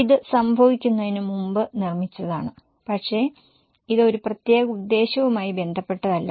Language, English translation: Malayalam, It is made prior to the happening but it is not related to any particular purpose